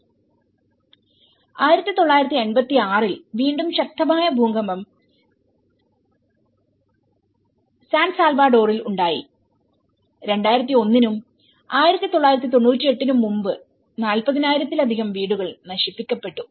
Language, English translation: Malayalam, In 1986, then again, a severe earthquake has hit the San Salvador, more than 40 thousand houses has been destroyed and prior to 2001 and 1998